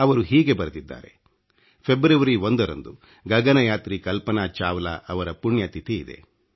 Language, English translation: Kannada, He writes, "The 1 st of February is the death anniversary of astronaut Kalpana Chawla